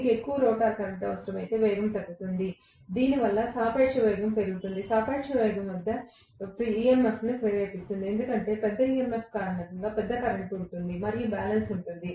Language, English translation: Telugu, If it needs more rotor current, the speed will decrease because of which the relative velocity will increase, that relative velocity will induce a larger EMF because of larger EMF there will be a larger current, and there will be a balance